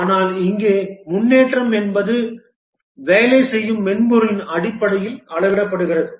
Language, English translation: Tamil, But here the progress is measured in terms of the working software that has got developed